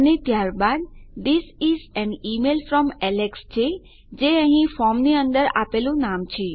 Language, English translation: Gujarati, And then we have This is an email from Alex which is the name we gave inside the form here